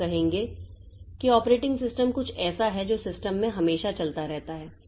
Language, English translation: Hindi, So, we will say that operating system is something that is always running in the system